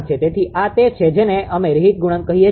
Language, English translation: Gujarati, So, this is your we call reheat coefficient right